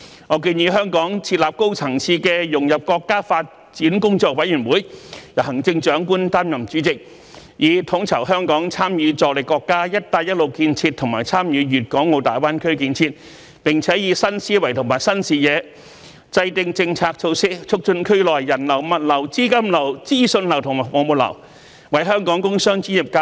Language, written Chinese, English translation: Cantonese, 我建議香港設立高層次的融入國家發展工作委員會，由行政長官擔任主席，以統籌香港參與助力國家"一帶一路"建設和參與粵港澳大灣區建設，並以新思維和新視野，制訂政策措施，促進區內的人流、物流、資金流、資訊流和服務流，為本港工商專業界和各類專業人才......, I suggest that Hong Kong should set up a high - level Working Committee for Integrating into National Development under the chairmanship of the Chief Executive to coordinate Hong Kongs participation and assistance in the Belt and Road Initiative and the GBA development and to formulate policy measures with new mindset and vision to promote the flow of people goods capital information and services in the region provide more development opportunities for Hong Kongs industrial commercial and professional sectors and various professional talents and provide the young generation with greater opportunities for upward mobility